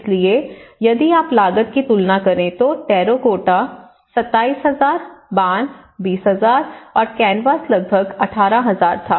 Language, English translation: Hindi, So, if you compare the cost the terracotta was 27,000 and this one was bamboo was 20,000 and the canvas was about 18,000